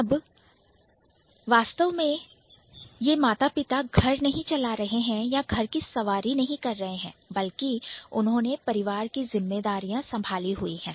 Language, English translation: Hindi, So this is not really, they are not really driving the house or they are not really riding the house, but rather they have the responsibility